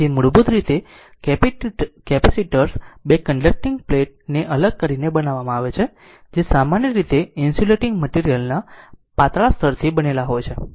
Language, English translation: Gujarati, So, basically capacitors are constructed by separating two conducting plates which is usually metallic by a thin layer of insulating material right